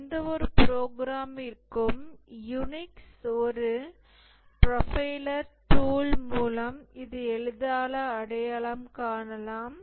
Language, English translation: Tamil, For any program, this can easily be identified by a profiler tool